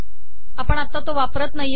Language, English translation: Marathi, We are not using that anymore